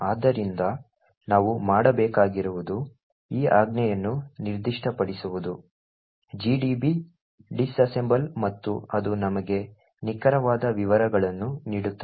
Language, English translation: Kannada, So all we need to do is specify this command called disassemble and it would give us the exact same details